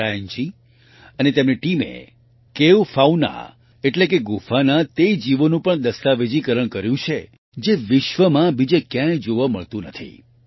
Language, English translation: Gujarati, Brian Ji and his team have also documented the Cave Fauna ie those creatures of the cave, which are not found anywhere else in the world